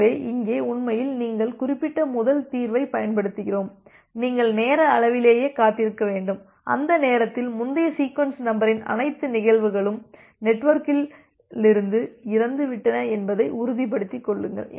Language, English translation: Tamil, So, here actually we are utilizing the first solution that I was mentioning that you wait in the time scale and ensure that by that time all the instances of the previous sequence number is dead from the network